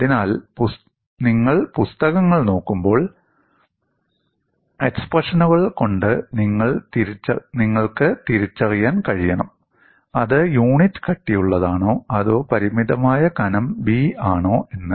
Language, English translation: Malayalam, So, when you look at the books, you should be able to recognize by looking at the expressions, whether it is derived for unit thickness or for a finite thickness b